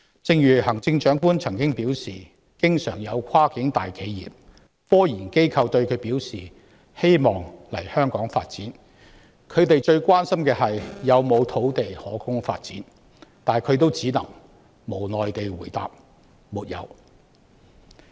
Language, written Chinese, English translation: Cantonese, 正如行政長官曾表示，經常有跨境大企業及科研機構向她表示希望來港發展，他們最關心的是有沒有土地可供發展，但她也只能無奈地回答"沒有"。, As the Chief Executive has stated cross - boundary big enterprises and scientific research institutes have often expressed their wish to pursue development in Hong Kong . And their prime concern is the availability of land for development to which she can only helplessly reply no